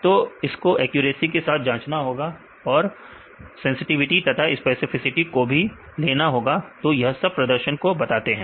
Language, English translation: Hindi, So, that need to check with the accuracy along with sensitivity and specificity; so, these are other performance